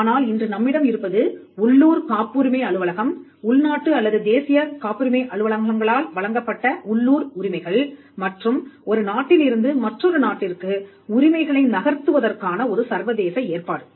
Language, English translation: Tamil, But all that we have today is local rights granted by the local patent office, Domestic or National Patent Offices granting the rights; and some kind of an international arrangement to facilitate rights moving from one country to another